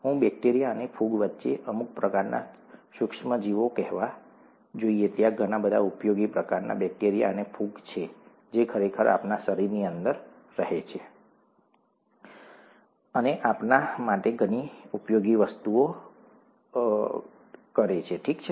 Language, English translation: Gujarati, I would should say some types of micro organisms among bacteria, fungi; there are a lot of very useful types of bacteria, fungi, which actually reside inside our body and do a lot of useful things for us, okay